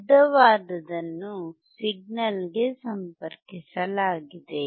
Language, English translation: Kannada, A longer one is connected to the signal